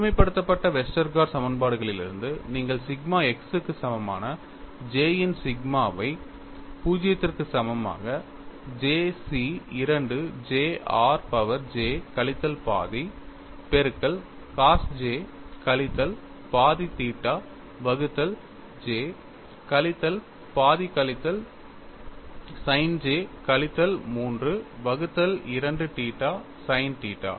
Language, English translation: Tamil, From generalized Westergaard equations, you get sigma x equal to sigma of j equal to 0 to j C 2 j r power j minus half multiplied by cos j minus half theta divided by j minus half minus sin j minus 3 by 2 theta sin theta